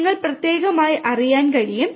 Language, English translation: Malayalam, So, that you can know specifically